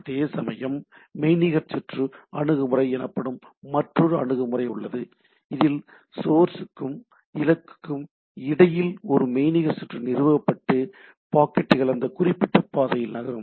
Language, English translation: Tamil, Whereas there is another approach called virtual circuit approach, where a virtual circuit is established between the source and destination and the packets moves in that particular path